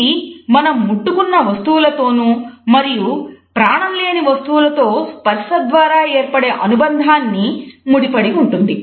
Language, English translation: Telugu, But by extension it is also associated with the objects whom we touch and the sense of touch which is communicated in our association with inanimate objects